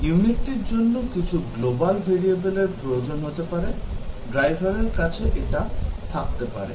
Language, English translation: Bengali, The unit might need some global variables and so on; the driver would have that